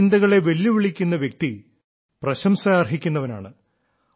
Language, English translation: Malayalam, Those who challenge this line of thinking are worthy of praise